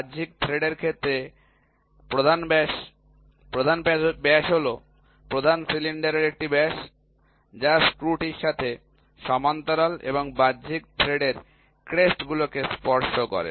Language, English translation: Bengali, Major diameter in case of external thread, the major diameter is a diameter of the major cylinder, which is coaxial with the screw and touches the crests of an external thread